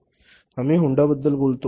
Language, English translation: Marathi, For example, you talk about Honda